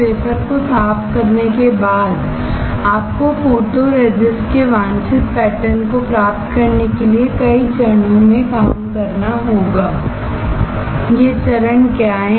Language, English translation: Hindi, After cleaning the wafer, you have to perform several steps to obtain the desired pattern of the photoresist